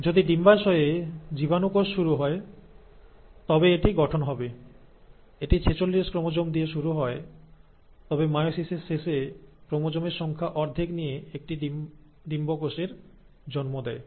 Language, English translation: Bengali, So, if the germ cell of the ovary is starting, it will form, it will start with forty six chromosomes but after the end of meiosis, will give rise to an egg cell with half the number of chromosomes